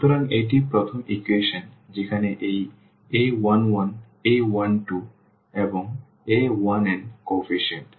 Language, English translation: Bengali, So, this is first equation where these are a 1 1 a 1 2 and a 1 n a 1 n these are the coefficients